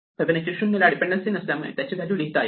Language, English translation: Marathi, Fibonacci of 1 needs no dependency, so let me write a value for it